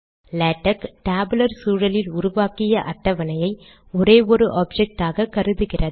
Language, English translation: Tamil, Latex treats the entire table created using the tabular environment as a single object